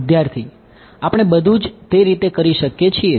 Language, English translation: Gujarati, Everything we can do in that way